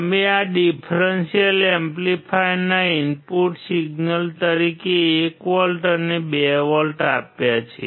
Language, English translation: Gujarati, You applied 1 volt and 2 volts as the input signal of this differential amplifier